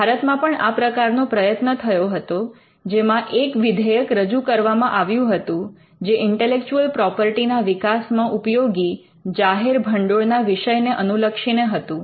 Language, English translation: Gujarati, In India we had a similar attempt there was a bill which was passed which covered the public funds used in developing intellectual property